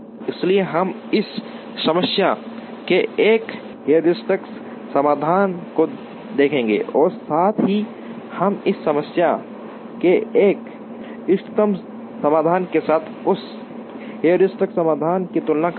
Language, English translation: Hindi, So, we will look at one heuristic solution to this problem and also we will compare that heuristic solution with an optimum solution to this problem